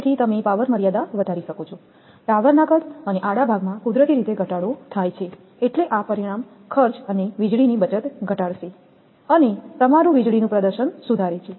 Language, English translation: Gujarati, So, you can raise the power limits, the sizes of the tower and the cross arm decrease naturally, it will decrease this result in saving in cost and lightning power your lightning performance is improved